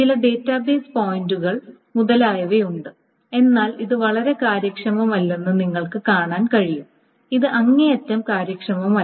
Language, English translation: Malayalam, There are some database pointers, but it is, you can see that this is very, very inefficient